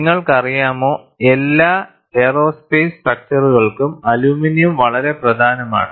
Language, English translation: Malayalam, And you know, for all aerospace structures, aluminum is very important